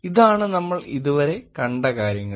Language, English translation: Malayalam, So, that is a kind of thing that we have seen until now